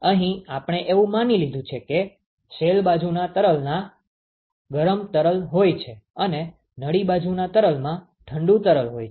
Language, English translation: Gujarati, Here we have assumed that the shell side fluid has hot fluid and the tube side fluid has a cold fluid